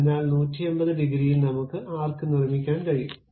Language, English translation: Malayalam, So, I can construct that arc in that complete 180 degrees